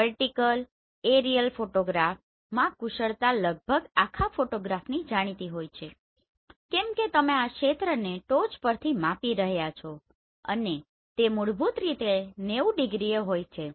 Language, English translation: Gujarati, In vertical aerial photograph the skills is approximately inform throughout the photograph why because you are going to measure this area from the top and this is basically 90 degree right